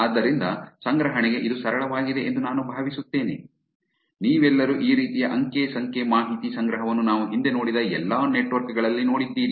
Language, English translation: Kannada, So, that is clear simple to collection I think you all of you have seen this kind of data collection the past in all the networks that we have seen